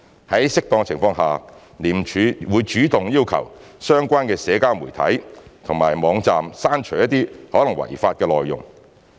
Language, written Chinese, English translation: Cantonese, 在適當情況下，廉署會主動要求相關的社交媒體平台或網站刪除一些可能違法的內容。, Where appropriate ICAC will take the initiative to request relevant social media platforms or websites to remove potentially illegal content